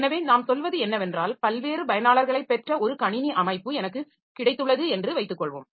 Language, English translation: Tamil, So, what we mean is that suppose I have got a system that has got multiple users in the system